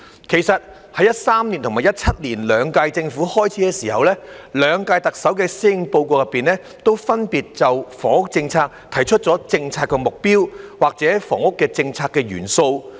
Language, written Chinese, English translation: Cantonese, 其實，在2013年及2017年兩屆政府開始時，兩屆特首的施政報告都分別就房屋政策提出了政策目標或房屋政策元素。, In fact at the beginning of the two terms of the Government in 2013 and 2017 the two Chief Executives put forward in their respective policy address the policy objectives or elements of the housing policy